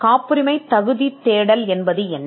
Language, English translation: Tamil, What is a patentability search